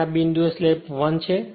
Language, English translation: Gujarati, And at this point when slip is equal to 1